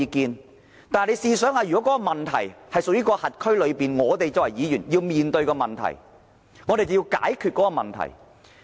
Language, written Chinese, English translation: Cantonese, 可是，大家試想想，如果問題是屬於轄區內，我們作為區議員便要面對問題、解決問題。, Come to think about this . If the problems are concerned with our constituency we as DC members have to address the problem and find a solution to it